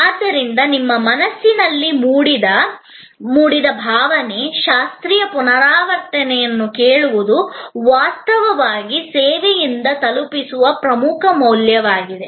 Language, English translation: Kannada, So, the emotion evoked in your mind, hearing a classical recital is actually the core value deliver by the service